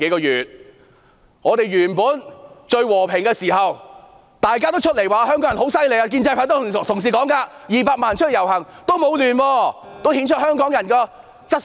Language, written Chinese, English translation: Cantonese, 以往社會和平時，大家也說香港人很厲害，建制派的同事說200萬人出來遊行也沒有混亂，顯出香港人的質素。, When society was peaceful in the past everyone said that Hong Kong people were awesome . The pro - establishment Members said that there used to be no chaos even when 2 million people took to the street and that it showed the quality of Hong Kong people